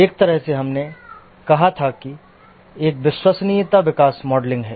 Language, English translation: Hindi, One way we had said is reliability growth modeling